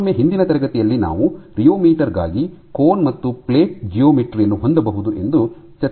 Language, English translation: Kannada, And again, in last class we had discussed that for a rheometer you can have a cone and plate geometry in which the bottom plate is stationary it is fixed